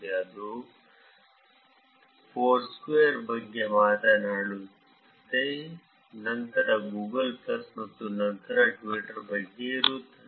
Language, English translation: Kannada, Here it is talking about Foursquare then there would be about Google plus and then Twitter